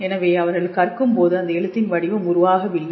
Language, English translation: Tamil, So, may be when they are learning the pattern of that spelling has not formed